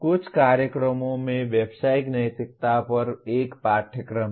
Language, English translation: Hindi, Some programs have a course on Professional Ethics